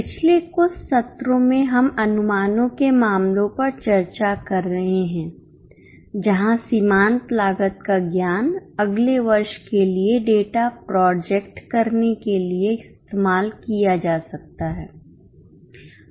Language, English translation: Hindi, Namaste In last few sessions we are discussing cases on projections where the knowledge of marginal costing can be used for projecting the data for the next year